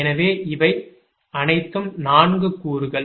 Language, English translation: Tamil, there are four elements